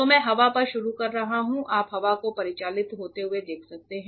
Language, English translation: Hindi, So, I am starting on the air you can see the air being circulated